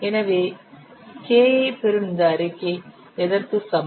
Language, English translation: Tamil, So, K is equal to what